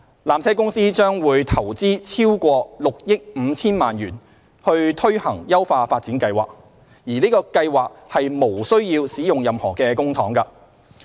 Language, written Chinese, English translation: Cantonese, 纜車公司將投資逾6億 5,000 萬元推行優化發展計劃，而此計劃無須使用任何公帑。, PTC will invest over 650 million for implementing the upgrading plan which does not entail the use of any public funds